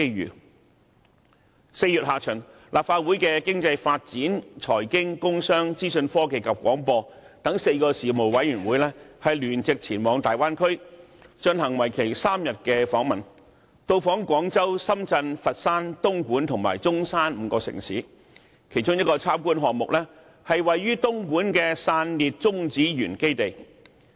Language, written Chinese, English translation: Cantonese, 在4月下旬，立法會的經濟發展、財經、工商、資訊科技及廣播等4個事務委員會曾聯席前往大灣區，進行為期3天的訪問，到訪廣州、深圳、佛山、東莞及中山5個城市，其中一個參觀項目，是位於東莞的散裂中子源基地。, In late April four Legislative Council Panels namely the Panel on Economic Development Panel on Financial Affairs Panel on Commerce and Industry and Panel on Information Technology and Broadcasting conducted a joint duty visit of three days to the Bay Area visiting five cities there ie . Guangzhou Shenzhen Foshan Dongguan and Zhongshan . One place they visited was the China Spallation Neutron Source facility in Dongguan which is a product of the countrys cutting - edge technological research